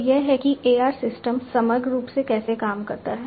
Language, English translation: Hindi, So, this is how the AR systems work holistically